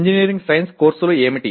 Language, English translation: Telugu, What are the engineering science courses